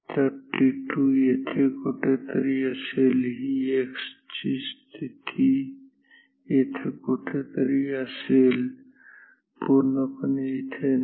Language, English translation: Marathi, So, at t 2 t 2 is somewhere will be here xx x position will be somewhere here, not totally right somewhere here ok